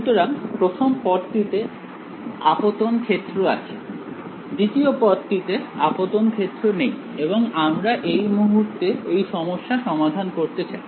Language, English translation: Bengali, So, the first term had the incident field, the second term had no incident field and we are interested in solving this problem now